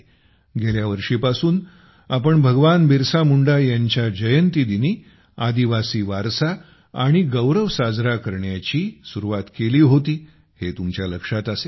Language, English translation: Marathi, You will remember, the country started this last year to celebrate the tribal heritage and pride on the birth anniversary of Bhagwan Birsa Munda